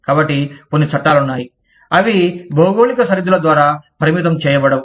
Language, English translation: Telugu, So, there are some laws, that are not restricted by geographical boundaries